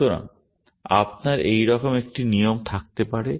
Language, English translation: Bengali, So, you can have a rule like this